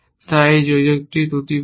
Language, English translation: Bengali, So, is this adder faulty